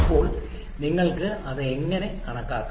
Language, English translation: Malayalam, So how can you calculate that